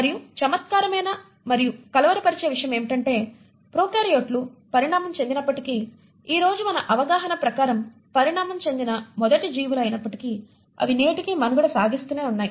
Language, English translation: Telugu, And what is intriguing and rather perplexing is to note that though prokaryotes evolved and were the first set of organisms as of our understanding today to evolve, they have continued to survive till the present day today